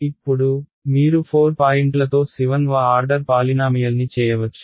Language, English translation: Telugu, Now, you are saying with 4 points you can do a 7th order polynomial ok